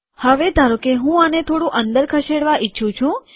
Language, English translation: Gujarati, Now suppose I want to push this a little inside